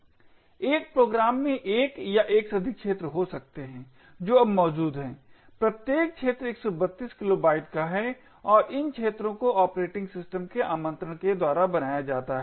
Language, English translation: Hindi, One program could have one or more arenas which are present, now each arena is of 132 kilobytes and these arenas are created by invocations to the operating system